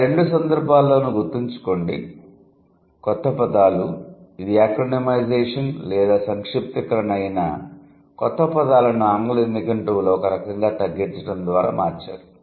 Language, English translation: Telugu, But remember in both cases the new words, whether it is acronymization or abbreviation, the new words have been made a part of the English lexicon by kind of shortening it